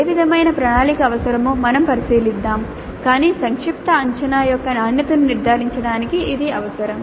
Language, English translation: Telugu, We look at what kind of planning is required but that is essential to ensure quality of the summative assessment